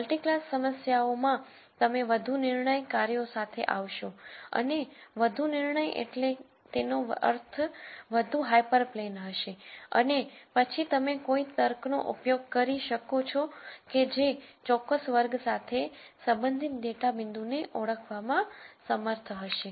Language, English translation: Gujarati, In multi class problems you could come up with more decision functions and more decision functions would mean more hyper planes and then you can use some logic after that to be able to identify a data point as belonging to a particular class